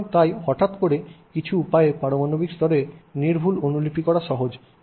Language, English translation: Bengali, So, therefore, suddenly it is actually easier in some ways to do an exact copy at an atomic level, right